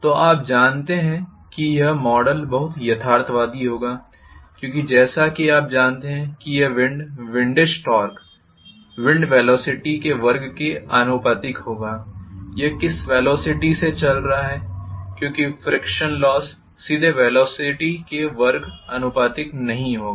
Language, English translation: Hindi, So very you know it will be very realistic to model that as you know a wind windage kind of torque because it will be proportional to the velocity square, at what velocity it is going because frictional losses will not be directly proportional to whatever is the velocity square